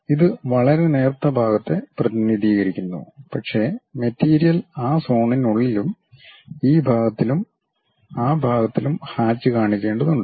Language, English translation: Malayalam, It just represents very thin portion, but material has to be shown by hatched within that zone, this part and that part